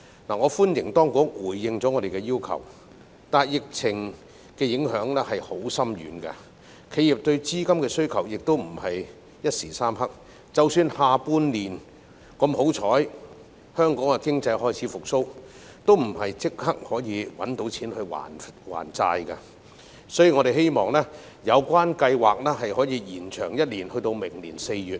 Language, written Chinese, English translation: Cantonese, 我歡迎當局回應我們的要求，但疫情的影響非常深遠，而且企業對資金的需求亦非一時三刻，即使下半年香港經濟幸運地開始復蘇，也不會立即有錢還債，所以我們希望有關計劃可以延長1年至明年4月。, I welcome the authorities response to our request but the epidemic does have far - reaching impact and the enterprises do not only have funding needs within a short time . Even if economic recovery in Hong Kong will luckily start in the second half of the year the enterprises will not immediately have money for debt repayment we thus hope that the scheme can be extended by one year to April next year